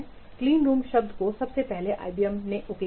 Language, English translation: Hindi, The term clean room was first coined at IBM